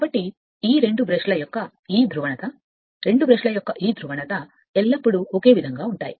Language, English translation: Telugu, So, this polarity of these two brush; your two brushes always you will remain same right